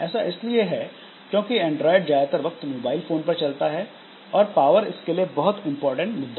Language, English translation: Hindi, So this, because for Android, most of the time, it is working on these mobile phones and all where power is a very important issue